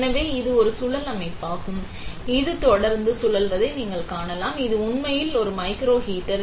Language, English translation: Tamil, So, that what is this is, it is a spiral structure as you can see it is continuously spiralling; this is actually a microheater